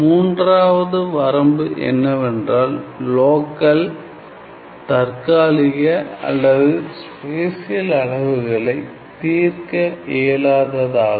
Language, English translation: Tamil, The third limitation was that it is quite unable to resolve local temporal or spatial scales, temporal or spatial scales